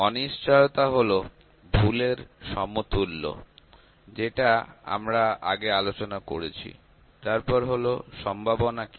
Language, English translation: Bengali, Uncertainties is equivalent to the error that we discussed before, then what is probability